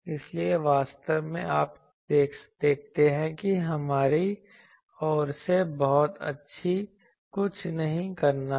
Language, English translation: Hindi, So, actually you see there is nothing to do from our side much